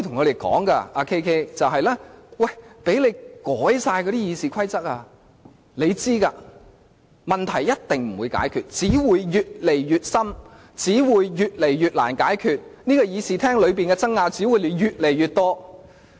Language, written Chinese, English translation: Cantonese, 你知道即使你們修改了《議事規則》，問題也一定不會解決，問題只會越來越新、越來越難解決，議事廳裏的爭拗只會越來越多。, You know it that even if the RoP is amended the problem will not be solved . Not only that more new problems tougher ones will continue to arise whilst more disputes will come up in the Chamber